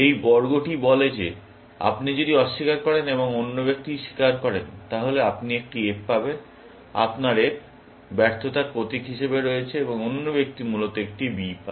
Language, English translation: Bengali, This square says that if you deny, and the other person confesses, then you get an F; that is your F, stands for fail, and the other person gets a B, essentially